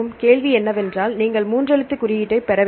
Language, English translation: Tamil, Now the question is what are three letter codes then why are you have to look